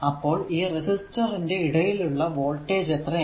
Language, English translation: Malayalam, So, what is the voltage difference across the resistor terminal